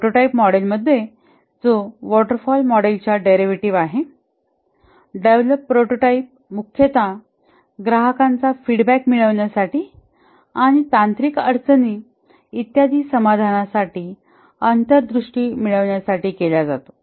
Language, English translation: Marathi, In the prototyping model, which is a derivative of the waterfall model, the developed prototype is primarily used to gain customer feedback and also to get insight into the solution, that is the technical issues and so on